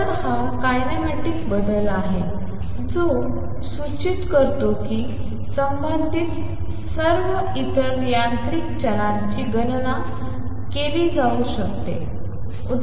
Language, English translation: Marathi, So, this is the kinematic change is that suggested an all the corresponding other mechanical variables can be calculated